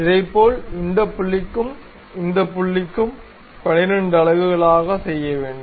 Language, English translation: Tamil, Similarly, this point to this point also make it 12 units